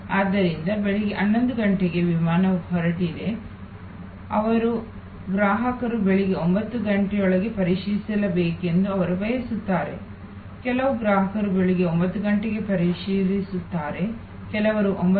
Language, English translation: Kannada, So, the flight is taking off at 11 AM they want customer's to checking by 9 AM, some customer's will checking at 9 AM, some will arrive at 9